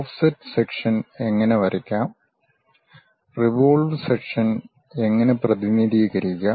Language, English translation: Malayalam, How to draw offset sections, how to represent revolve sections